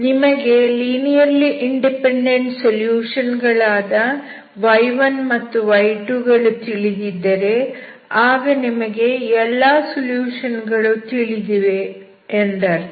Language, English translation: Kannada, Suppose you are given y1, andy2 which are linearly independent solutions, that means you know all the solutions, okay